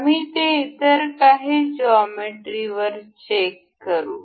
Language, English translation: Marathi, We will check that on some other geometry